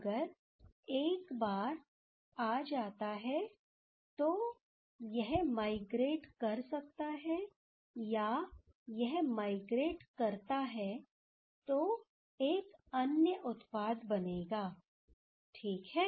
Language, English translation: Hindi, It will form actually that once this will come then either this one can migrate or if this one migrate, then another product will form ok